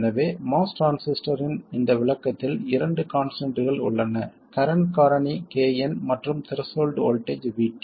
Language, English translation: Tamil, So there are two constants in this description of the most transistor, the current factor, KN and the threshold voltage VT